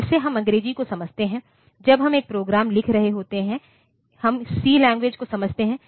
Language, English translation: Hindi, So, like we understand English, when we are writing a program, we understand the language C